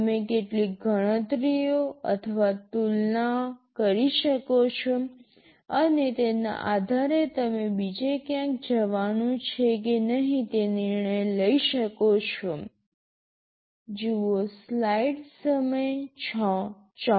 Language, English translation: Gujarati, You can make some calculations or comparisons, and based on that you can take your decision whether to jump somewhere else or not